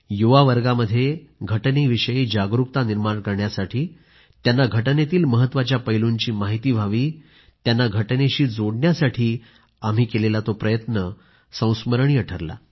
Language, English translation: Marathi, This has been a memorable incident to increase awareness about our Constitution among the youth and to connect them to the various aspects of the Constitution